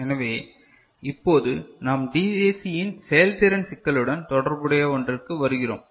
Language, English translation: Tamil, So, now we come to something, which is related to performance issues of a DAC ok